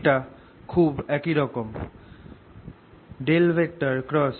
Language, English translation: Bengali, this is very similar